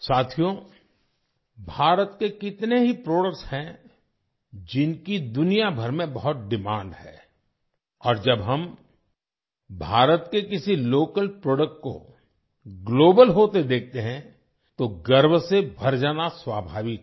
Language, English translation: Hindi, Friends, there are so many products of India which are in great demand all over the world and when we see a local product of India going global, it is natural to feel proud